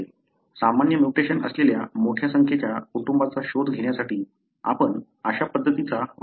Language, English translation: Marathi, So, we use this kind of approach to look into a large number of families having the same mutation